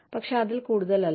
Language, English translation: Malayalam, But, not more than that